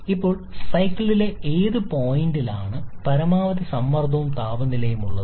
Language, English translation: Malayalam, Now, which point in the cycle has the same maximum pressure and temperature